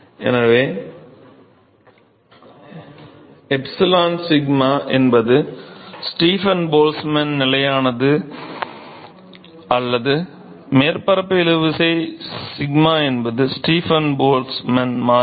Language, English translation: Tamil, So, epsilon sigma is Stefan Boltzmann Constant not surface tension sigma is Stefan Boltzmann constant